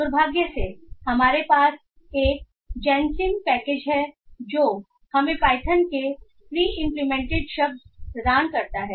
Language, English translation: Hindi, And fortunately we have GENCIM package that provides us the word to work pre implemented in Python